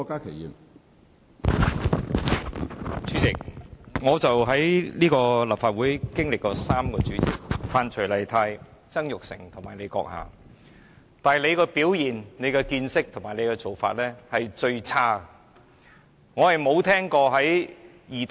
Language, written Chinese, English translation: Cantonese, 主席，我在立法會經歷過3任主席：范徐麗泰、曾鈺成及你，當中你的表現、見識和做法是最差的。, President I have experienced three Legislative Council Presidents namely Rita FAN Jasper TSANG and you . Among the three your performance knowledge and practice are the worst